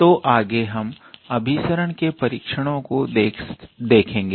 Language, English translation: Hindi, So, next we will look into test of convergence